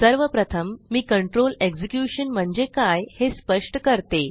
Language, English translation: Marathi, Let me first explain about what is control execution